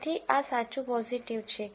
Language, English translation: Gujarati, So, this is true positive